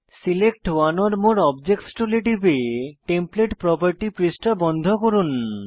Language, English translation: Bengali, Click on Select one or more objects tool to close the Templates property page